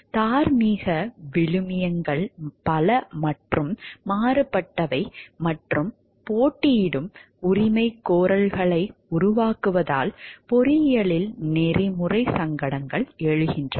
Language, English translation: Tamil, Ethical dilemmas arise in engineering because moral values are many and varied and, can make competing claims